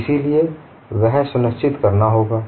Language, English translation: Hindi, So that has to be ensured